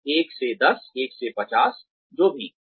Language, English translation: Hindi, 1 to 10, 1 to 50, whatever